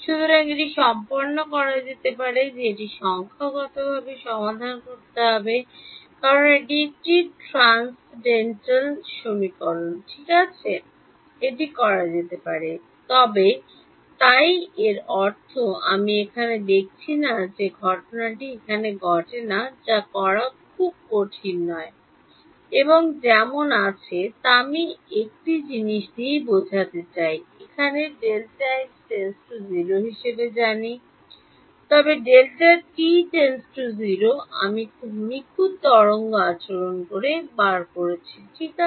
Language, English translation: Bengali, So, this can be done it has to be solved numerically because it is a transcendental equation right it can be done, but so, I mean I am not showing that the calculation here, it is not very hard to do what happens is that as I have so, I mean one thing is that we know that as delta x and delta t tend to 0, I get the perfect wave behaviour ok